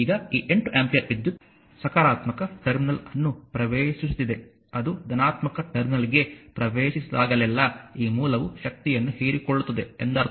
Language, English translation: Kannada, Now, this 8 ampere current is entering into the positive terminal, whenever it enters into the positive terminal means this source actually absorbing power